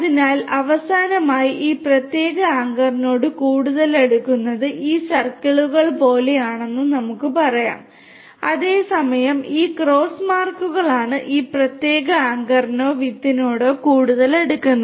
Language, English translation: Malayalam, So, let us say that finally, we get something like these circles are the ones which are closer to this particular anchor whereas, these cross marks are the ones which is closer to this particular anchor or the seed